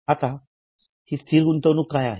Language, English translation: Marathi, Now, what is this non current investment